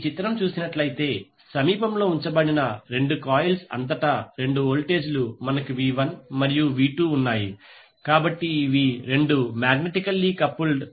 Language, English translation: Telugu, Let us see this particular figure where we have V1 andV2 2 voltages applied across the 2 coils which are placed nearby, so these two are magnetically coupled